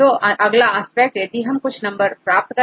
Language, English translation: Hindi, So, now the next aspect is we get some numbers right